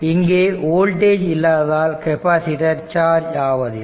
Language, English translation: Tamil, There was no there was no voltage then write capacitor was uncharged